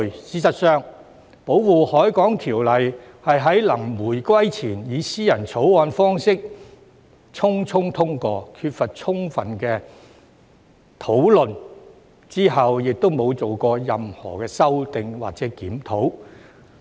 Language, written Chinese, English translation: Cantonese, 事實上，《保護海港條例》是在臨回歸前以私人條例草案方式匆匆通過，缺乏充分討論，之後亦沒有進行任何修訂或檢討。, In fact the Ordinance was passed hastily as a private bill before the reunification without thorough discussion and there has been no amendment or review since then